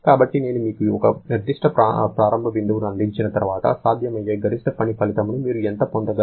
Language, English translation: Telugu, Therefore, once I have given you one particular initial point, then what is the maximum possible work output that you can get